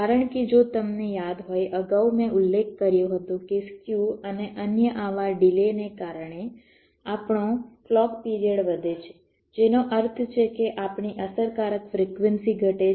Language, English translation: Gujarati, because, if you recall earlier i mentioned that because of the skew and the other such delays, our clock time period increases, which means our effective frequency decreases